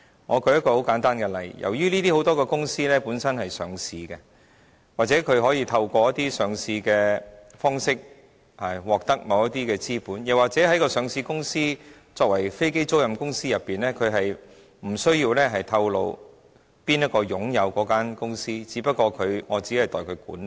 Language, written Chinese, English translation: Cantonese, 我舉一個很簡單的例子，由於這些公司很多是上市公司，或透過一些上市的方式，獲得某些資本，又或是上市公司作為飛機租賃公司，它無須透露誰人擁有那間公司，它只是代為管理。, These companies are mostly listed companies . Some of them raised funds in the market by way of listing . Some are managers of aircraft leasing companies which are not required to disclose the owners of the companies